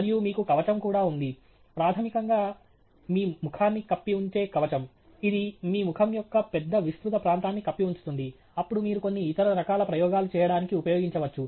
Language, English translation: Telugu, And you also have something which is a shield; basically, a shield that covers your face, which would cover a big broader region of your face, which you can then use to do certain other types of experiments